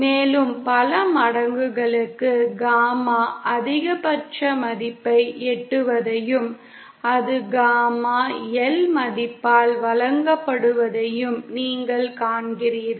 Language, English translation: Tamil, and for even multiples you see that gamma in reaches a maximum value and that is given by the value of gamma L